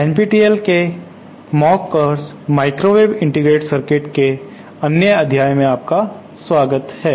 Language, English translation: Hindi, welcome to another module of this NPTEL mock course ÔMicrowave Integrated CircuitsÕ